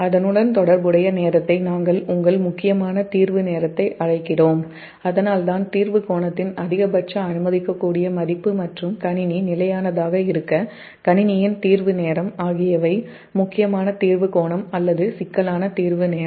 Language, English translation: Tamil, so that's why i am putting it here that the maximum allowable value of the clearing angle and the clearing time of the system to remain system stable are known as critical clearing angle or critical clearing time